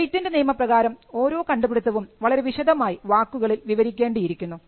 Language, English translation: Malayalam, In patent law every invention needs to be described in writing